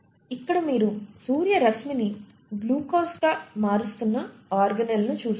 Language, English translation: Telugu, And it is here that you start seeing in this organelle the conversion of sunlight into glucose